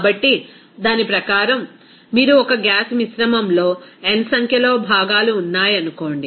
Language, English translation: Telugu, So, according to that, you can say that if there are suppose n number of components in a gaseous mixture